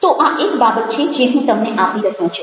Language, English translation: Gujarati, so that's one of the things i am sharing with you